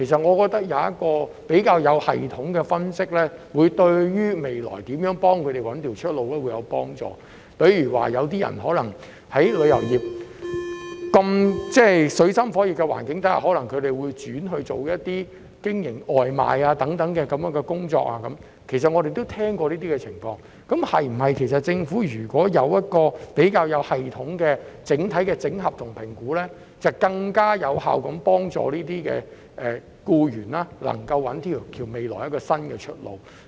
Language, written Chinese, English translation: Cantonese, 我認為，一個較有系統的分析，將有助當局了解日後應如何協助他們尋找出路，因為有些人可能在經歷旅遊業的水深火熱後，會轉型從事外賣等的其他工作——這些情況我們也曾聽聞——倘若政府有一個較有系統的評估和經整合的整體數據，便能更有效地幫助這些僱員在未來找到新出路。, I think a more systematic analysis will help the authorities understand what steps should be taken in the future to help the employees find a way out because some of them may after experiencing great difficulties in the tourism industry switch to other jobs such as engaging in food delivery services etc and I have heard of these cases before . If the Government can conduct a more systematic assessment and obtain overall consolidated statistics it can more effectively help these employees in finding a new way out in the future